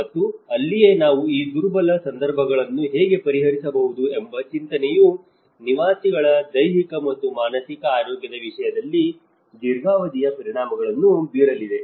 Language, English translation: Kannada, And that is where the thought of how we can address these vulnerable situations because these are going to have a long term impacts both in terms of the physical and the mental health of the inhabitants